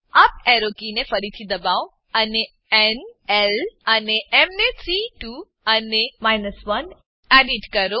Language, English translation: Gujarati, Press up arrow key again and edit n, l and m to 3 2 and 1